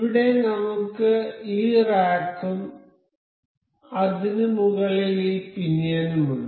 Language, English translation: Malayalam, Here we have this rack and this pinion over it